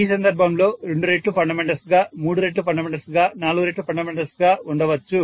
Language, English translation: Telugu, In this case then maybe 2 times the fundamental, 3 times the fundamental, 4 times the fundamental and so on